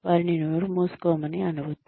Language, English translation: Telugu, Do not ask them, to shut up